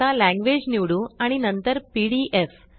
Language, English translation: Marathi, Let us choose language and then PDF